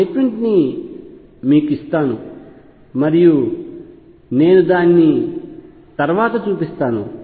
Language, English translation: Telugu, Let me give that statement to you and I will show it later